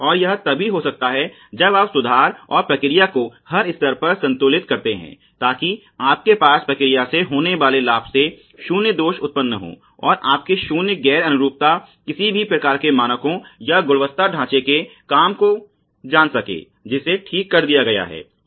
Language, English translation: Hindi, And this can happen only if you do process improvements and process balancing at every stage; so that you have zero defects produced from the profit from the process and zero non conformance of you know any kind of standards or quality frame work which has been laid out ok